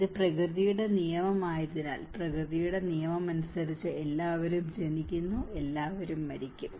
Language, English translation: Malayalam, Because it is a law of nature, as per the law of nature, everyone is born, and everyone is bound to die